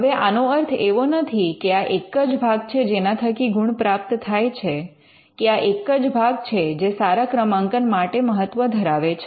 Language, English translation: Gujarati, Now, this is not to say that this is the only place, or this is the only part which could be relevant for the ranking